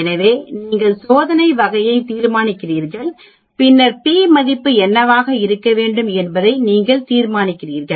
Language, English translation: Tamil, So you decide on the type of test and then you decide on what should be my p value at which I am going to study